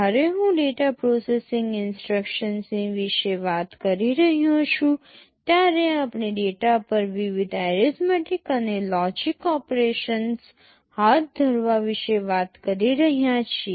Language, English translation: Gujarati, When I am talking about the data processing instructions we are talking about carrying out various arithmetic and logic operations on data